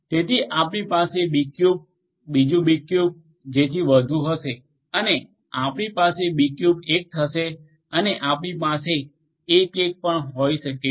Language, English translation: Gujarati, So, you will have another B cube, another B cube and so on and this one will become your b cube 1 and you can even have 1 1 right